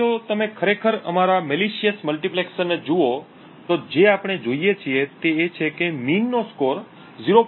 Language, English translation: Gujarati, Now if you actually look at our malicious multiplexer what we see is that the mean has a score of 0